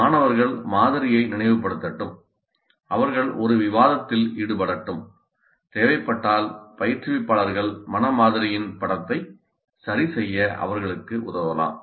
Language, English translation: Tamil, Let the students recall the model and let them engage in a discussion and instructors can help them correct the picture of the mental model if necessary